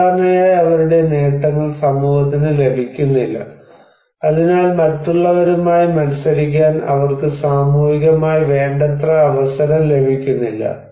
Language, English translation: Malayalam, Generally, their achievements are not achieved by society, so they are not given enough opportunity socially to compete with other